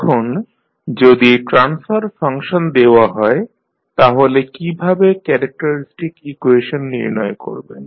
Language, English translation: Bengali, Now, if you are given the transfer function, how to find the characteristic equation